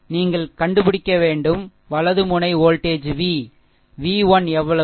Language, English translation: Tamil, And we have to find out, right node volt v you have to obtain v 1 is equal to how much